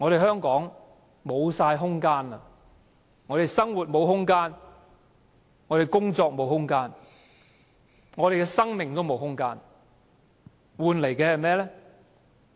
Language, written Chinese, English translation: Cantonese, 香港已經沒有空間，生活沒有空間，工作沒有空間，生命也沒有空間，換來的是甚麼？, Hong Kong does not have much space left . We do not have a space for living and work and even for life . What do we get in return?